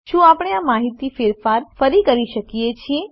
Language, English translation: Gujarati, Can we edit this information